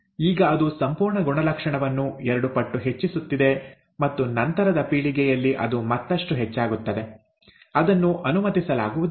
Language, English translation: Kannada, Now that is almost increasing the entire characteristic by two fold and in the subsequent generation further increases, now that cannot be allowed right